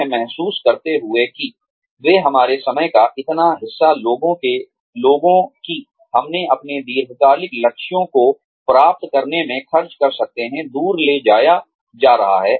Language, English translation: Hindi, Not realizing that, they would take up, so much of our time, that the time, we could have spent on achieving our long term goals, is being taken away